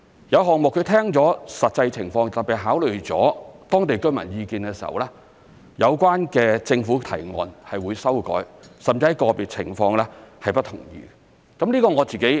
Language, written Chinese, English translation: Cantonese, 有項目聽了實際情況，特別是考慮了當地居民意見的時候，有關的政府提案是會修改，甚至在個別情況是不同意的。, In some cases after learning the actual situation especially after considering the views of local residents TPB did revise the relevant government proposals and might even reject them in individual cases